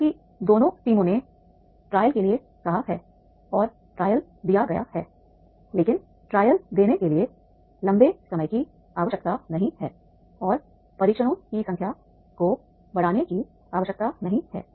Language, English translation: Hindi, However, both the teams have asked for the trial and the trial was given and but not a long time is required for giving the trial and number of trials are needed to increase